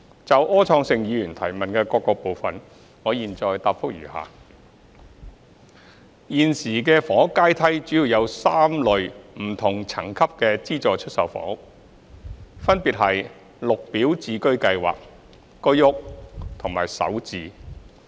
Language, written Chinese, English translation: Cantonese, 就柯創盛議員質詢的各部分，我現答覆如下。一現時的房屋階梯主要有3類不同層級的資助出售房屋，分別是綠表置居計劃、居屋和首置。, My reply to various parts of the question raised by Mr Wilson OR is as follows 1 Currently there are three major types of SSFs under different rungs along the housing ladder namely Green Form Subsidised Home Ownership Scheme GSH HOS and SH